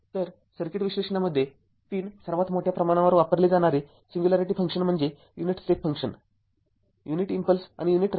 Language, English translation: Marathi, So, in circuit analysis the 3 most widely used singularity function are the unit step function the units impulse and the unit ramp